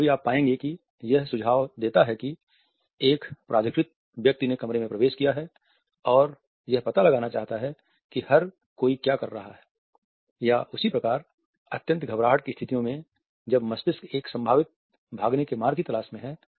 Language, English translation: Hindi, Sometimes you would find that it me suggest authority a person in authority has entered the room and wants to find out what everybody is doing or at the same time in situations of extreme nervousness, when the brain is trying to look for a possible escape route